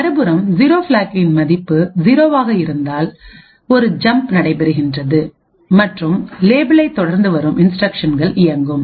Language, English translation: Tamil, On the other hand, if the 0 flag has a value of 0 then there is a jump which takes place and the instructions following the label would execute